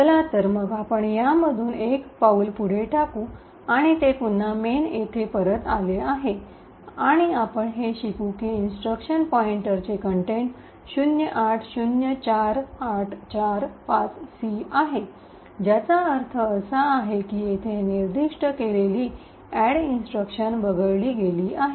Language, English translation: Marathi, So, let us single step through this and see that it has come back to main and we would note that the contents of the instruction pointer is 0804845C which essentially means that the add instruction which is specified here has been skipped